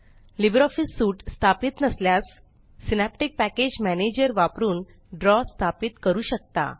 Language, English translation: Marathi, If you do not have LibreOffice Suite installed, Draw can be installed by using Synaptic Package Manager